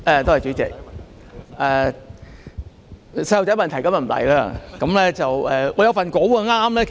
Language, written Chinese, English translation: Cantonese, 代理主席，我今天不提出"小孩子的問題"。, Deputy President I am not going to visit some kids questions today